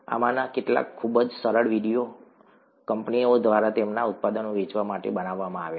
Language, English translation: Gujarati, Some of these very nice videos have been made by companies to sell their products